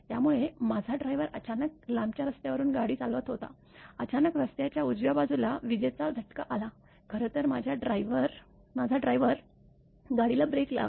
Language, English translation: Marathi, So, my driver was driving all of a sudden on the long road; all of a sudden, there was lightning stroke on the right side of the road; my driver actually; brake the car